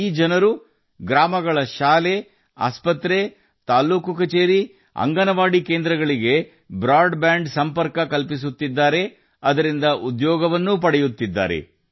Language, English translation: Kannada, These people are providing broadband connection to the schools, hospitals, tehsil offices and Anganwadi centers of the villages and are also getting employment from it